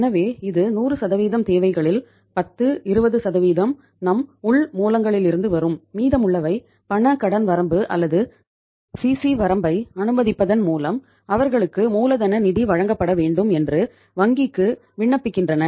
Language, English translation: Tamil, So this out of the 100% requirements, maybe 10, 20% will come from our internal sources and remaining they apply to the bank that they should be provided the working capital finance by sanctioning a cash credit limit or the CC limit